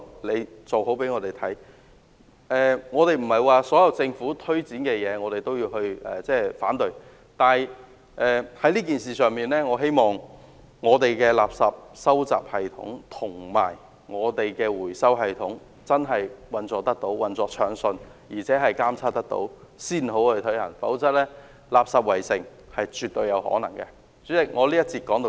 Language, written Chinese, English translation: Cantonese, 我們並非要反對所有政府推展的工作，而是在這件事情上，我希望我們的垃圾收集系統及回收系統要確實運作暢順，並要進行監察，才可推行，否則垃圾圍城絕對有可能出現。, We do not say no to all the work carried out by the Government . Nevertheless on this particular matter I hope its implementation could wait until our refuse collection system and recycling system are in smooth operation and under monitoring . Otherwise a city besieged by garbage is not impossible